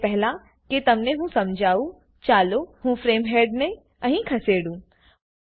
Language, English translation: Gujarati, Before I explain them, let me move the frame head here